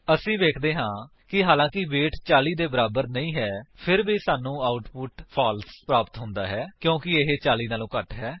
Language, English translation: Punjabi, We see, that although the weight is not equal to 40 we get the output as True because it is less than 40